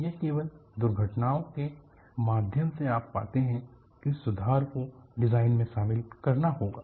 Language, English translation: Hindi, It is only through accidents, you find improvements have to be incorporated on the design